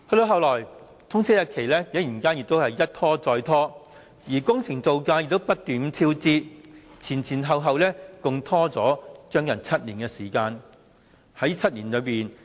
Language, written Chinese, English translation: Cantonese, 後來，通車日期竟然一拖再拖，工程造價亦不斷超支，前後共拖延了接近7年。, After that the date of commissioning has been delayed time and again while there were incessant construction cost overruns . It was dragged for seven years